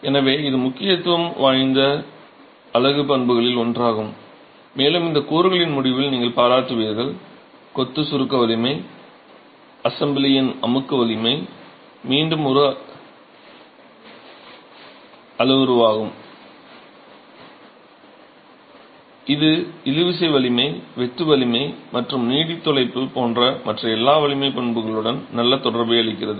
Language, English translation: Tamil, So, it's one of those unit properties of significance and as you will appreciate towards the end of this component, masonry compressive strength, the compressive strength of the assembly is again such a parameter which gives good correlation with every other strength property like tensile strength, shear strength and also correlation with durability